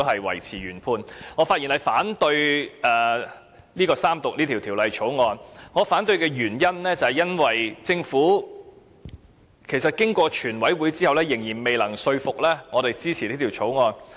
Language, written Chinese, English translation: Cantonese, 因此，我發言反對三讀這項《條例草案》，原因是經過了全體委員會審議階段，政府仍然未能說服我支持這項《條例草案》。, Therefore I speak to oppose the Third Reading of this Bill because after going through the Committee stage the Government is still unable to convince me to support the Bill